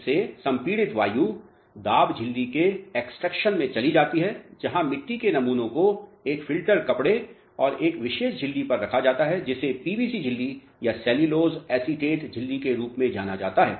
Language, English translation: Hindi, From this the compressed air goes into the pressure membrane extractor where soil samples are kept on a filter cloth and a special membrane which is known as a PVC membrane, but cellulose acetate membrane